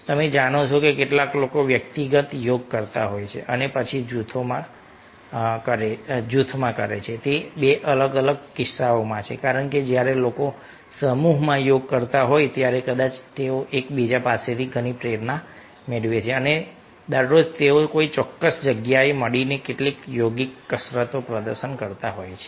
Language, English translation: Gujarati, ah, its a two different cases because when a when people are ah doing yoga in a group, perhaps they get lots of inspiration from each other and every day they are meeting some particular place and performing some yogic exercises